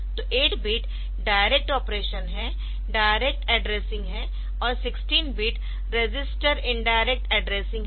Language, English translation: Hindi, So, 8 bit is direct operation, direct addressing; and 16 bit is register indirect addressing by a some register